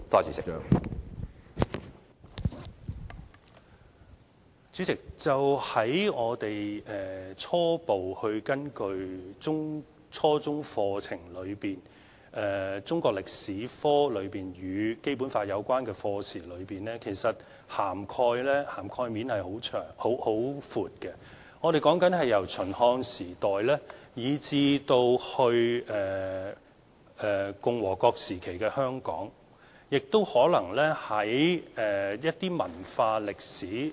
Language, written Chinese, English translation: Cantonese, 主席，初步根據初中課程來看，中國歷史科與《基本法》有關課程的涵蓋面其實很寬，是由秦漢時代以至共和國時期的香港，可能亦有提及一些文化歷史。, President a rough look at the junior secondary curriculum can show a wide range of topics in Chinese History that are related to the Basic Law . These topics span from the Qin and Han Dynasties to the days of Hong Kong under the Peoples Republic of China and there are also some topics in cultural history